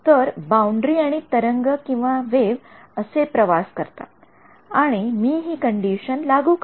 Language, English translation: Marathi, So, boundary and a wave travels like this and I impose the condition this one